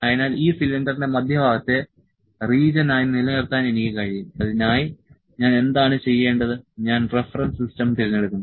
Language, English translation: Malayalam, So, I can we keep the centre of this cylinder as region, for that what I have to do, I select the reference system